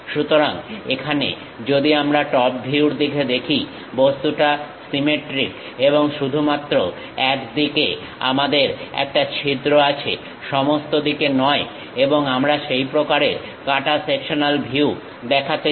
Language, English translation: Bengali, So, here if we are looking the top view, object symmetric and we have hole only on one side, not everywhere and we would like to show such kind of cut sectional view